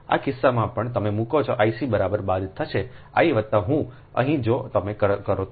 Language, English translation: Gujarati, in this case also, you put i c is equal to minus i a plus i b here